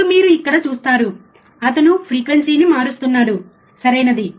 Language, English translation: Telugu, Now, you see here, he is changing the frequency, right